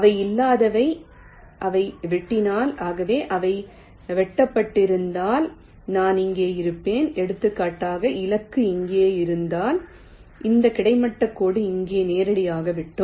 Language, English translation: Tamil, so if they would have intersected, i would have, for, for example, if the target was here, then this horizontal line would have intersected here directly